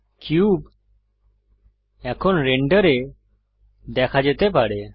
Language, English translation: Bengali, The cube can now be seen in the render